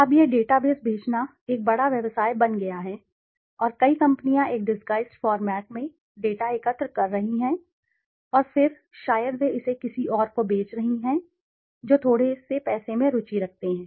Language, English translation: Hindi, Now, this database selling has become a big business and many companies they are collecting data in a disguised format and then maybe they are selling it to somebody else who is interested at a hefty amount of money